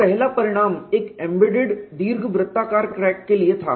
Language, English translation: Hindi, So, first result was for a embedded elliptical crack and what is that they found